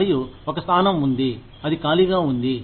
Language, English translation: Telugu, And, there is a position, that is vacant